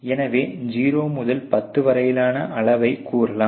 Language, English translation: Tamil, So, let say scale of the 0 to 10